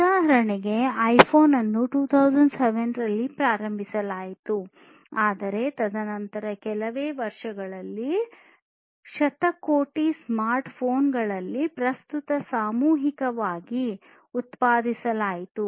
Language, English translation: Kannada, iPhone was launched in 2007, but since then only within few years, billions of smartphones are being mass produced at present